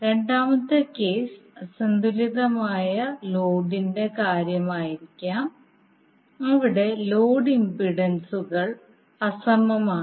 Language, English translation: Malayalam, Second case might be the case of unbalanced load where the load impedances are unequal